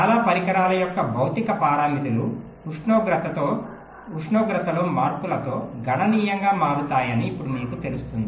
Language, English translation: Telugu, now you know that the physical parameters of this most devices they very quit significantly with changes in temperature